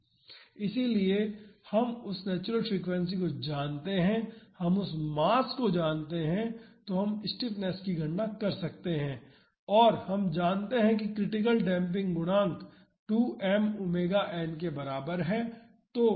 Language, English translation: Hindi, So, we know the natural frequency we know the mass so, we can calculate the stiffness and we know that the critical damping coefficient is equal to 2 m omega n